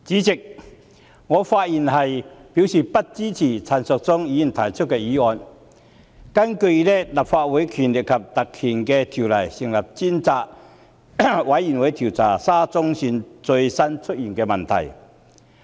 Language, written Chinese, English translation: Cantonese, 主席，我發言以示不支持陳淑莊議員提出的議案，根據《立法會條例》成立專責委員會，調查沙田至中環線最近出現的問題。, President I speak in opposition to the motion proposed by Ms Tanya CHAN which seeks to appoint a select committee under the Legislative Council Ordinance to inquire into the recent issues of the Shatin to Central Link SCL